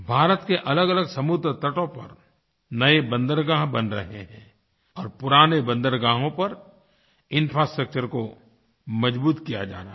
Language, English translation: Hindi, New seaports are being constructed on a number of seaways of India and infrastructure is being strengthened at old ports